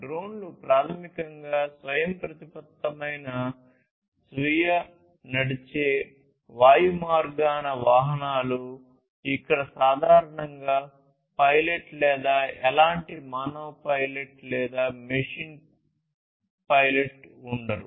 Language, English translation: Telugu, So, drones are basically autonomous self driven, you know, airborne vehicles which where there is typically no pilot or any kind any kind of human pilot or machine pilot